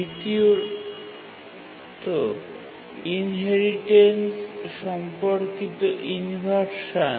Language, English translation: Bengali, So this is the inheritance related inversion